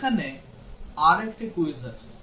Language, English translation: Bengali, There is another quiz here